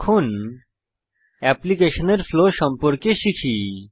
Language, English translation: Bengali, Now let us understand the flow of the application